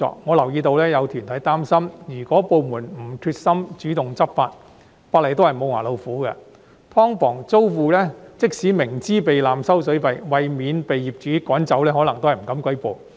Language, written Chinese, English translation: Cantonese, 我留意到有團體擔心，如果部門沒有決心主動執法，法例也只是"無牙老虎"，即使"劏房"租戶明知道被濫收水費，但為免被業主趕走，可能也不敢舉報。, I am aware of the worry among some organizations that if the departments concerned are not determined in taking the initiative to enforce the law the law will only become a toothless tiger . Even though tenants of subdivided units know very well that they are overcharged for the use of water they may dare not report to the authorities for fear of being evicted by the landlords